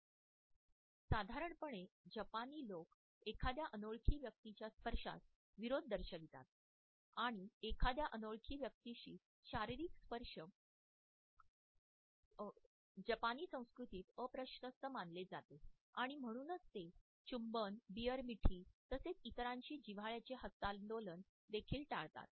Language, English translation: Marathi, The Japanese in general are considered to be opposed to the touch of a stranger and bodily contact with a stranger is considered to be impolite in the Japanese culture and therefore they avoid kisses, the beer hugs as well as even intimate handshakes with others